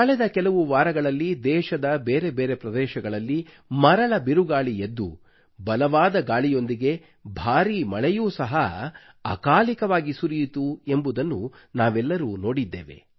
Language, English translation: Kannada, In the past few weeks, we all witnessed that there were dust storms in the different regions of the country, along with heavy winds and unseasonal heavy rains